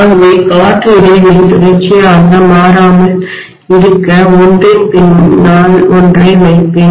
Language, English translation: Tamil, So I will put one behind the other, so that the air gap does not become continuous, are you getting my point